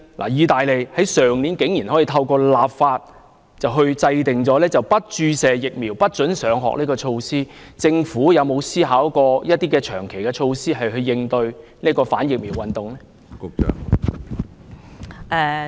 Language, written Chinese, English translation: Cantonese, 意大利去年竟可透過立法制訂不注射疫苗不准上學的措施，政府有否思考一些長期的措施來應對反疫苗運動？, Last year Italy surprisingly enacted legislation to formulate a no vaccine no school initiative . Has the Government considered any long - term initiative to cope with vaccine hesitancy?